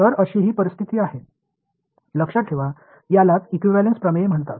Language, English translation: Marathi, So, this is the situation that we have; now remember that this is what is called equivalence theorem